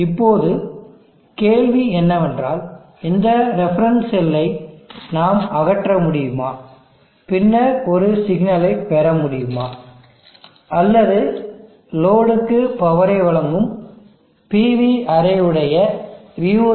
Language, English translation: Tamil, Now the question is can we eliminate this reference cell and then can we get a signal which will represent the VOC of the actual array which is PV array which is delivering power to the load